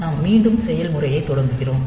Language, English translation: Tamil, So, we start the process again